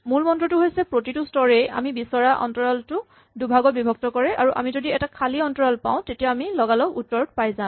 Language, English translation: Assamese, The key point is that each step halves the interval that we are searching and if we have an empty interval we get an immediate answer